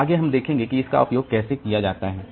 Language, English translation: Hindi, So, next we see like how this can be utilized